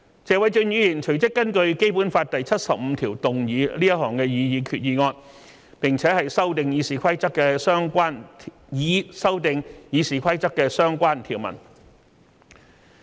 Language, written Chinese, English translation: Cantonese, 謝偉俊議員隨即根據《基本法》第七十五條動議這項擬議決議案，以修訂《議事規則》的相關條文。, Right after that Mr Paul TSE introduced this proposed resolution under Article 75 of the Basic Law to amend the relevant provisions of RoP